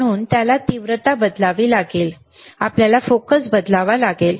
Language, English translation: Marathi, So, he have to we have to change the intensity, we have to change the focus